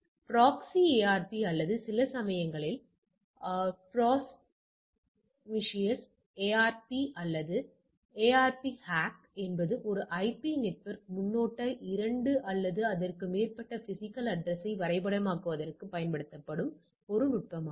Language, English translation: Tamil, So, proxy ARP or sometimes call also promiscuous ARP or ARP hack is a technique used to map a single IP network prefix 2 1 or more physical address all right, using the same network address space for more than one physical address all right